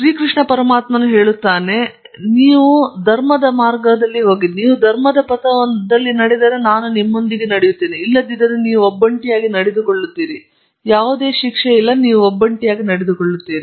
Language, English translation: Kannada, And Lord Krishna says that’s the path of the dharma; so if you walk the path of the dhrama, I will walk with you; otherwise, you walk alone; there is no punishment, you walk alone